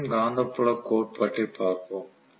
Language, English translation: Tamil, So let us try to look at the revolving magnetic field theory